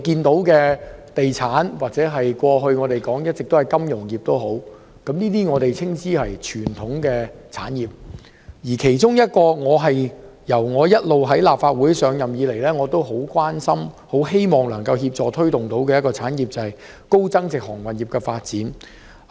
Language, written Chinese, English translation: Cantonese, 地產業及過去大家一直談論的金融業，我們稱之為傳統產業，而自我出任立法會議員以來一直非常關心，並希望可以協助推動發展的產業，是高增值航運業。, We call the property industry and the financial industry which we have been talking about in the past as the traditional industries . Since becoming a Member of the Legislative Council I have been very much concerned about the high value - added shipping industry and I hope that we can help to promote its development